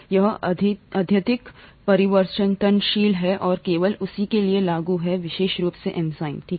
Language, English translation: Hindi, It is highly variable and applicable only for that particular enzyme, okay